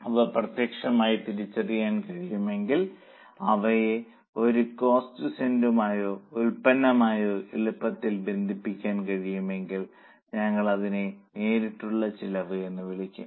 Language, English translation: Malayalam, If they can be identified exclusively, if it is possible to relate them easily to a cost center or a product, we'll call it as a direct cost